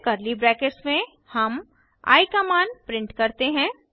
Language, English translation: Hindi, Then, in curly bracket we print the value of i Now, let us see the output